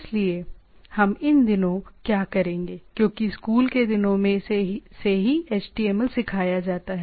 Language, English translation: Hindi, So, what we will do as these days HTML are taught a from the school days itself